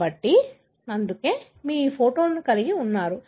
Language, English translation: Telugu, So, that is why you have this photograph